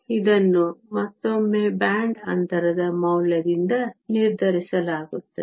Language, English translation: Kannada, This again is determined by the value of the band gap